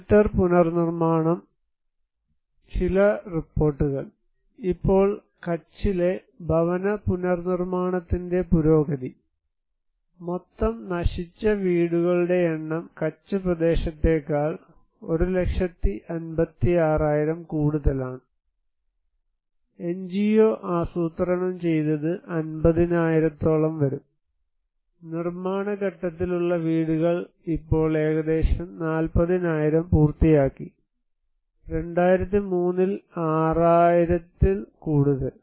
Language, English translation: Malayalam, Shelter reconstruction; some of the reports here; now, progress of housing reconstructions in Kutch, number of total destroyed houses was 1 lakh 56,000 little more than that in Kutch area, and that was planned by the NGO was around 50,000 among them, the under construction house right now that time 2003 was little more than 6000, completed almost 40,000 thousand little less than that